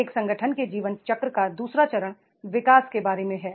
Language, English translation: Hindi, Second phase of the life cycle of an organization and that is about the growth